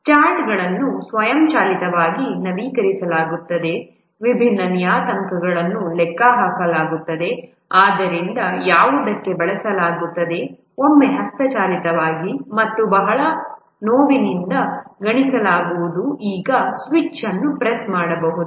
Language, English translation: Kannada, The charts are automatically updated, different parameters are computed, so what used to be once computed manually and very painstakingly now can be done at the press of a switch